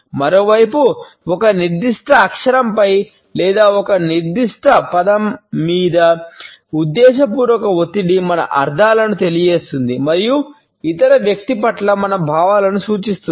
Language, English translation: Telugu, On the other hand the deliberate stress on a particular syllable or on a particular word communicates our meanings and indicates our feelings towards other person